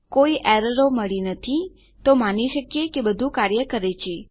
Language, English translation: Gujarati, Weve got no errors so we can presume that everything has worked